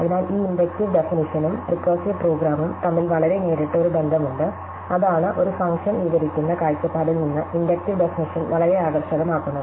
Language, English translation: Malayalam, So, there is a very direct one to one correspondence between this inductive definition and the recursive program and that is what makes inductive definitions very attractive from the point of view of describing a function